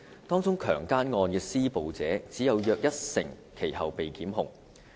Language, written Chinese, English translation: Cantonese, 當中強姦案的施暴者只有約一成其後被檢控。, Only about 10 % of the perpetrators in the rape cases involved in such requests were subsequently prosecuted